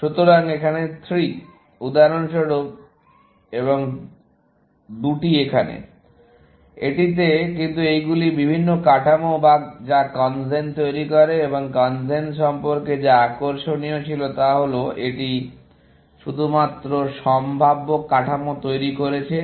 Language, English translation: Bengali, So, 3 here, for example, and 2 here, in that, but these are different structures that CONGEN generates and what was interesting about CONGEN was, it generated only feasible structures